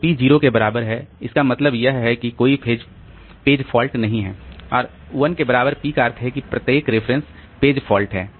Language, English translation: Hindi, So, p equal to 0 that means there is no page fault and p equal to 1 means every reference is a page fault